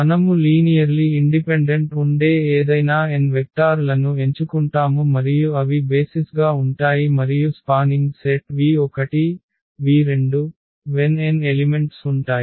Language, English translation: Telugu, We pick any n vectors which are linearly independent that will be the basis and any spanning set v 1 v 2 v 3 v n with n elements